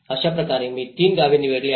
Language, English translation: Marathi, So in that way, I have selected three villages